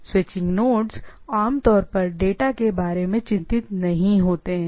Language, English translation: Hindi, The switching nodes typically not concerned about the data